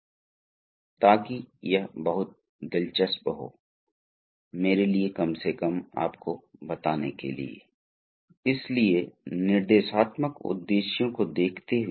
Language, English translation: Hindi, So, we begin here, before we begin we look at the instructional objectives